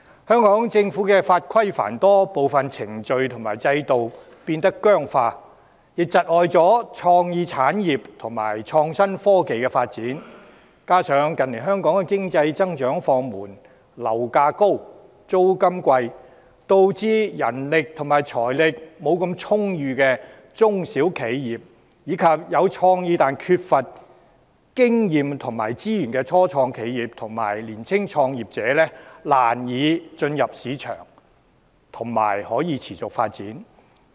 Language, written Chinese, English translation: Cantonese, 香港的法規繁多，部分程序和制度變得僵化，窒礙了創意產業和創新科技的發展，加上近年經濟增長放緩，樓價高、租金貴，導致人力和財力不大充裕的中小企業、有創意但缺乏經驗和資源的初創企業，以及年輕創業者難以進入市場並持續發展。, Given the multitude of legislation and regulations in Hong Kong some procedures and regimes have become very rigid hindering the development of creative and innovation and technology IT industries . In addition the slowdown of economic growth high property prices and high rents in recent years have made it difficult for small and medium enterprises SMEs which do not have sufficient manpower and financial resources start - up enterprises which are creative but lack experience and resources and young entrepreneurs to enter the market and continue to grow